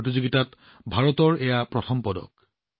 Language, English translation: Assamese, This is India's first medal in this competition